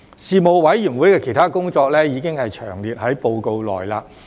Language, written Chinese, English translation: Cantonese, 事務委員會的其他工作，已詳列於報告內。, The details of the work of the Panel in other areas are set out in its report